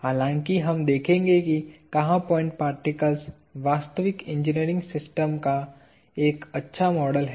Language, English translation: Hindi, Although we will see where point particle is a good model of a real engineering system